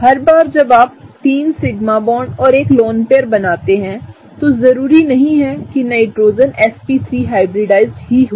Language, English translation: Hindi, Every time you make 3 sigma bonds and a lone pair, the Nitrogen need not be just sp3 hybridization